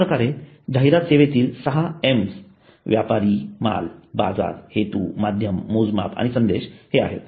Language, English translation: Marathi, So the six aims of advertising service are merchandise, markets, motives, media, measurement and messages